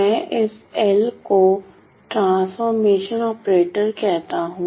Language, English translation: Hindi, So, I call this L as my transformation operator transformation operator